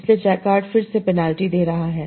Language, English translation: Hindi, So, Jakart is giving further penalty